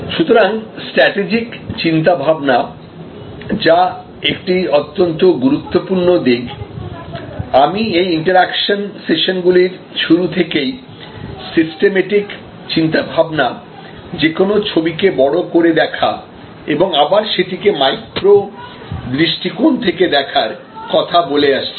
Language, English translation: Bengali, So, strategic thinking which is a very important aspect, I think right from the beginning of this interaction sessions, we have been talking about systems thinking, seeing the whole pictures, seeing the big picture as well as the micro picture